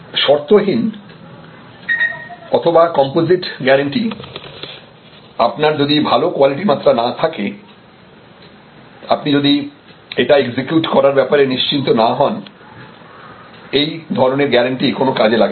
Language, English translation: Bengali, Unconditional guarantee or composite guarantee, because unless you have good quality level, unless you are very clear that we able to executed then there is no point in given that kind of guarantee